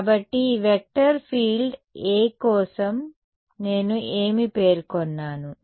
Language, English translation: Telugu, So, for this vector field A what have I specified